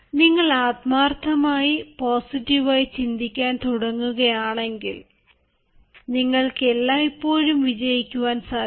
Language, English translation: Malayalam, if you start thinking positively, if you start thinking with sincerity and if you start thinking you can, you can always win